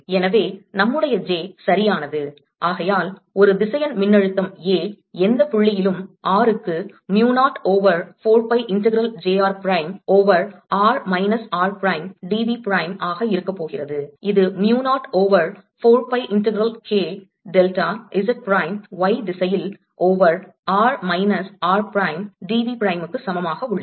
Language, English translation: Tamil, therefore, a, the vector potential, a, at any point, r is going to be mu naught over four pi integral j r prime over r minus r prime, d v prime, which is equal to mu naught over four pi integral k delta z prime in the y direction over r minus r prime, d v prime